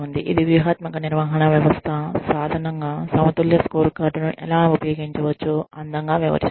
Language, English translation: Telugu, This is one paper, that beautifully outlines, how the balanced scorecard can be used, as a strategic management system tool